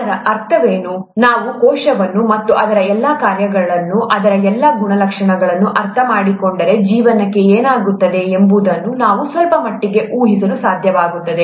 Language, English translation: Kannada, What does it mean, if we understand cell, the cell, and all its functions, all its properties, then we would be able to somewhat predict what happens to life